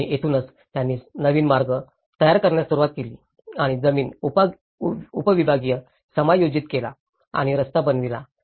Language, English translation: Marathi, And that is where then they started making new paths and the land subdivision has been adjusted and the road is built